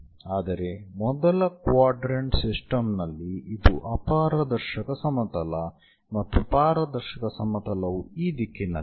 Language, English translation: Kannada, but in first quadrant system that is a opaque plane and the transparent plane is in this direction